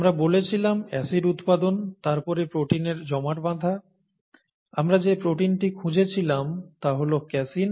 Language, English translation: Bengali, We said acid formation, followed by protein aggregation, protein that we are looking at was casein